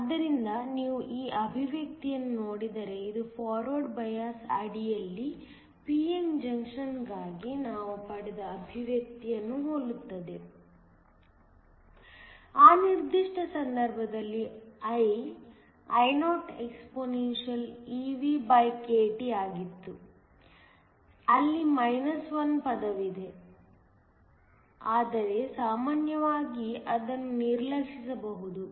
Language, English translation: Kannada, So, if you look at this expression this is very similar to the expression that we got for a p n junction under forward biased; in that particular case, I was IoexpeVkT, where is a 1 term, but usually that can be neglected